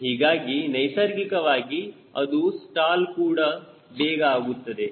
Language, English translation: Kannada, so naturally it will stall also very fast